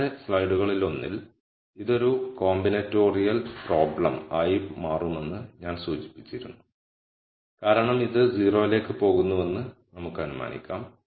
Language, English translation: Malayalam, So, in one of the previous slides I had mentioned that this becomes a combinatorial problem because we could also assume that this goes to 0